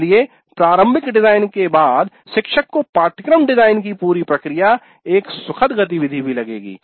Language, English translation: Hindi, So after the initial design the teacher would even find the entire process of course design a pleasant activity